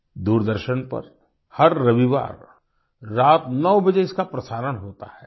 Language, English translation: Hindi, It is telecast every Sunday at 9 pm on Doordarshan